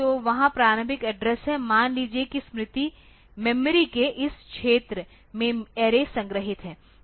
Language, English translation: Hindi, So, there is the initial address is there suppose the array is stored in this region of memory